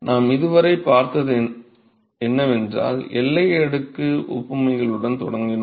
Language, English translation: Tamil, So, what we are looked at so far is first we started with the boundary layer analogies